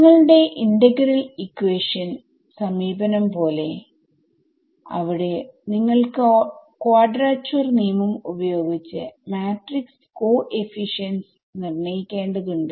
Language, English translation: Malayalam, Like in your integral equation approach there you had to calculate the matrix coefficients by using quadrature rule